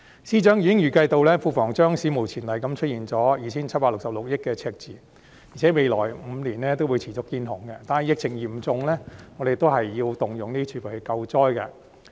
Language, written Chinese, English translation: Cantonese, 司長已經預計庫房將史無前例地出現 2,766 億元的赤字，而且未來5年會持續"見紅"，但疫情嚴重，政府仍要動用儲備來救災。, The Financial Secretary has already estimated that the Treasury will record an unprecedented deficit of 276.6 billion and we will continue to see deficits in the coming five years . However due to the severity of the outbreak the Government still needs to use its reserves for disaster relief